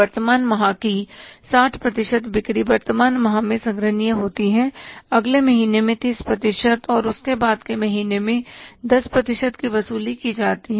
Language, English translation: Hindi, But experiences have shown that 60% of the current sales are collected in the current month, 60% of the current month sales are collected in the current month, 30% in the next month and 10% in the month thereafter